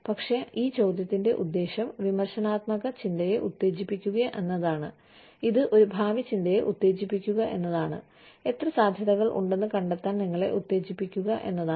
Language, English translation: Malayalam, But, it will just, be the purpose of this question, is to stimulate critical thinking, is to stimulate a futuristic thinking, is to stimulate you to find out, how many possibilities, there could be